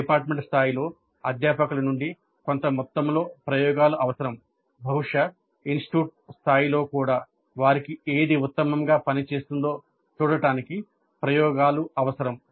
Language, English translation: Telugu, It does require certain amount of experimentation from the faculty at the department level, probably at the institute level also to see what works best for them